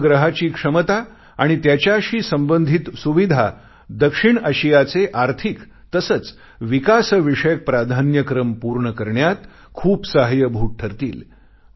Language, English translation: Marathi, The capacities of this satellite and the facilities it provides will go a long way in addressing South Asia's economic and developmental priorities